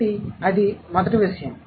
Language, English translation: Telugu, So, that's the first thing